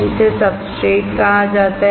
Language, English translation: Hindi, It is called substrate